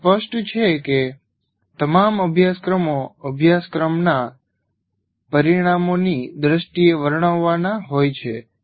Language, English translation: Gujarati, All courses are to be described in terms of course outcomes